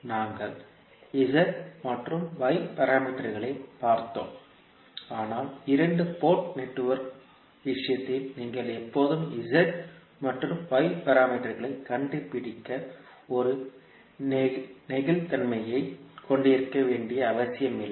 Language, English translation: Tamil, So we have seen z and y parameters, but in case of two Port network it is not necessary that you will always have a flexibility to find out the z and y parameters